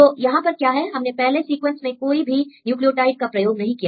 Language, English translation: Hindi, So, we have; we did not use any nucleotide in the first sequence